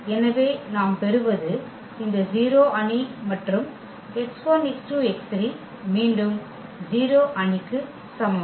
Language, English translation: Tamil, So, what we will get this 0 matrix here and x 1 x 2 x 3is equal to again the 0 matrix